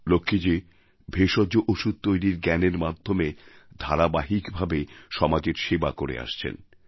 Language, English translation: Bengali, Lakshmi Ji is continuously serving society with her knowledge of herbal medicines